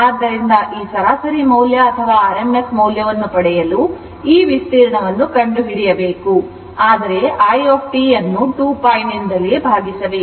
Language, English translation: Kannada, So, you have to find out this area to get this average value or rms value, but you have to divide it by 2 pi you have to divide this by 2 pi